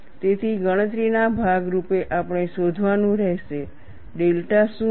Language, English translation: Gujarati, So, as part of the calculation we will have to find out, what is delta